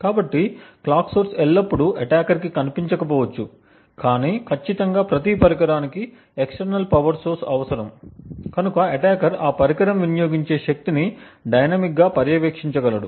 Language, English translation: Telugu, So, thus the clock source may not always be visible to an attacker, but definitely every device since it would require an external power source therefore an attacker would be able to monitor dynamically the power consumed by that device